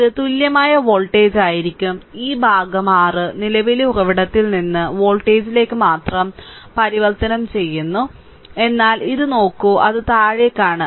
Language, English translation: Malayalam, And this will be the equivalent voltage I mean you are transforming this portion only from your current source to the voltage, but look at this it is downward